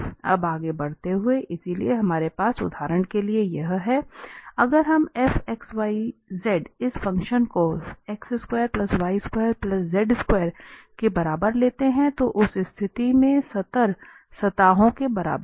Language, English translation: Hindi, Now, moving further, so, we are having this for instance, if we take this function f x, y, z is equal to x square plus y square plus z square, in that case the level surfaces